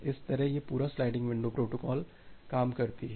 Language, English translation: Hindi, So that way this entire sliding window protocol works